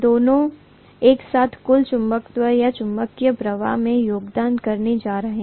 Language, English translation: Hindi, Both of them together are going to contribute to the total magnetism or magnetic flux